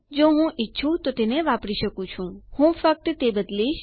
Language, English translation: Gujarati, I can use it, if i want to Ill just change that